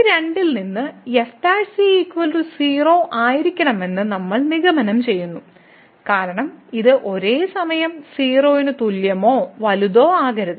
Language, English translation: Malayalam, So, out of these two we conclude that the prime has to be because it cannot be less than equal to or greater than equal to at the same time